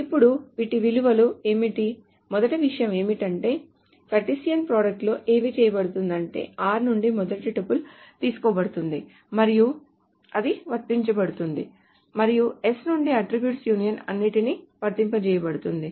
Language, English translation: Telugu, The first thing is that essentially what is done in a Cartesian product is the first tuple from R is taken and it's applied and the attribute union is applied with all from S